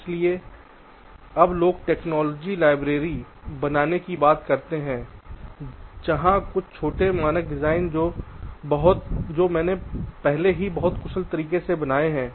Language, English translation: Hindi, so now people talk about creating something called ah technology library where some of the small standard designs i have already created in a very efficient way